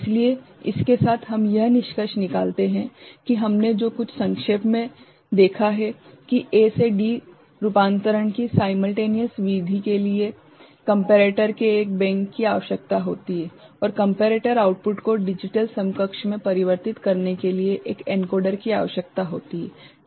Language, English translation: Hindi, So, with this we conclude what we have seen very briefly that simultaneous method of A to D conversion requires a bank of comparators and an encoder to convert the comparator outputs to it is digital equivalent ok